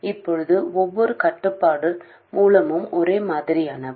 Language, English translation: Tamil, Now every control source is of the same type